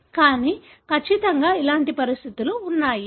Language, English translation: Telugu, But, certainly there are conditions like this